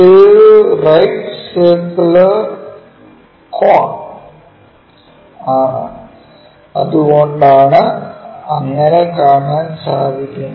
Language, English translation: Malayalam, It is the right circular cone that is also one of the reason we will see only circle